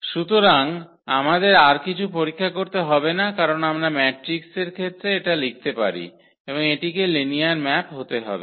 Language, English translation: Bengali, So, we do not have to check anything else because we can write down this as this in terms of the matrix and therefore, this has to be a linear maps